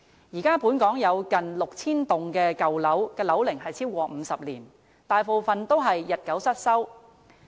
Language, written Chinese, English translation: Cantonese, 現時本港有近 6,000 幢樓齡超過50年的舊樓，大部分已日久失修。, There are now close to 6 000 buildings aged 50 years or above in the territory with the majority of them dilapidated